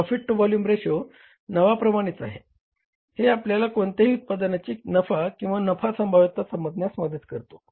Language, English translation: Marathi, Profit to volume ratio as the name indicates helps us to understand the profitability or the profit potential of any product